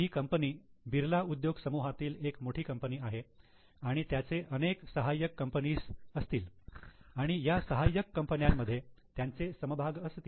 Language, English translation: Marathi, Because this company is a big company in Birla Group, they must be having lot of subsidiaries and have held shares in that subsidiaries